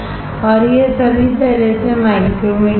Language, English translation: Hindi, And this micrometer is all the way